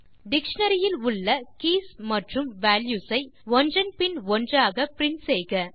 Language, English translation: Tamil, Print the keys and values in the dictionary one by one